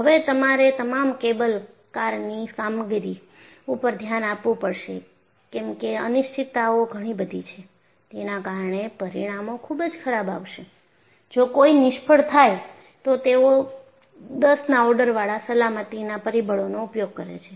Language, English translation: Gujarati, And also, you have to look at for all the cable car operations because the uncertainties are they are very many, and the consequences will be very bad, if there is a failure, they use of factor of safety at the order of ten